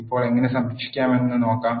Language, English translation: Malayalam, Now, let us see how to save